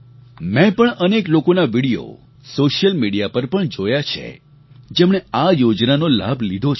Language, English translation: Gujarati, I too have seen videos put up on social media by beneficiaries of this scheme